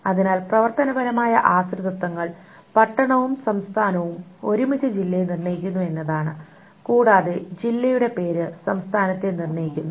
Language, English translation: Malayalam, So which were, so the functional dependencies are town and state together determines the district and the district name determines the state